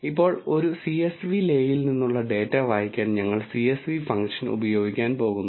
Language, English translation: Malayalam, Now, to read the data from a csv le we are going to use the csv function